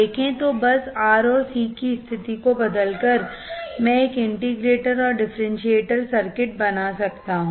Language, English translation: Hindi, See, so just by changing the position of R and C, I can form an integrator and differentiator circuit